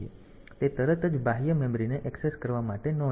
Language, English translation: Gujarati, So, that it does not go to access the external memory immediately